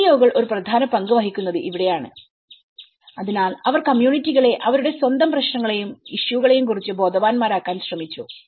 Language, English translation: Malayalam, These were the most of the NGOs plays an important role, so they tried to make the communities aware of their own problems and the issues